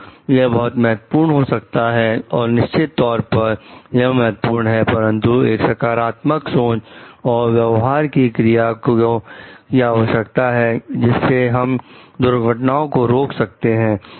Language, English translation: Hindi, So, it may be important definitely it is important, but it requires a positive attitude and action of behavior so which is going to prevent accident